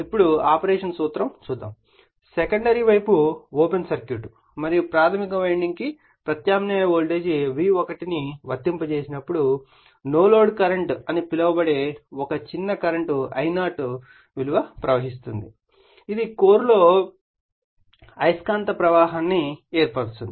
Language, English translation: Telugu, Now, principles of a principle of operation, when the secondary is an open circuit and an alternating voltage V1 is applied I told you to the primary winding, a small current called no load that is I0 flows right, which sets up a magnetic flux in the core